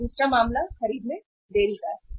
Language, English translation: Hindi, Now second case is delay purchases